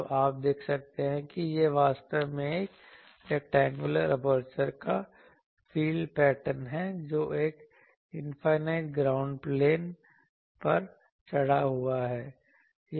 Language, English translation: Hindi, So, you can see that this is actually the field pattern of an rectangular aperture mounted on an infinite ground plane